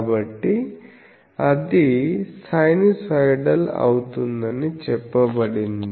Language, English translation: Telugu, So, it was said that it will be sinusoidal